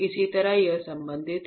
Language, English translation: Hindi, That is how it is related